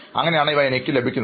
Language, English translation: Malayalam, So this is how I get those things